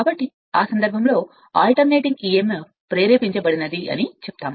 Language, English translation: Telugu, So, in that case what so, this is your what you call that alternating your emf induced right